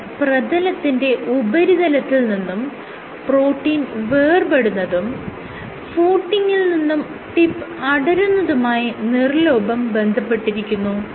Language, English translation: Malayalam, So, this is associated with detachment of protein from the surface and this is associated with detachment of tip from the footing